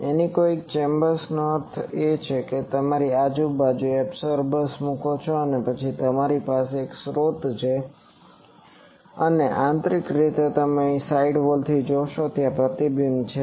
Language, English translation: Gujarati, Anechoic chambers means, you put absorbers throughout and then you have a source and internally you see from here from the side walls there is reflections